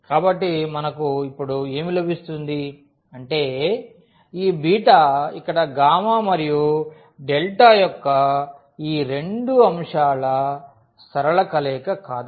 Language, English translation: Telugu, So, what do we get now, so; that means, this beta is not a linear combination of these two elements here gamma and delta